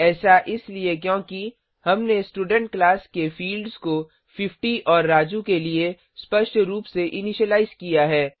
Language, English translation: Hindi, This is because we had explicitly initialized the fields of the Student class to 50 and Raju